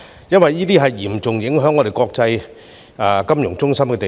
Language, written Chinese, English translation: Cantonese, 因為這將嚴重影響我們作為國際金融中心的地位。, It is because this will seriously jeopardize our status as an international financial centre